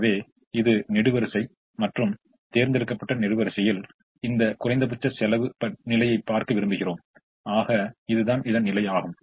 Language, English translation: Tamil, so this is the column and we would like to look at this least cost position in the chosen column, which is this position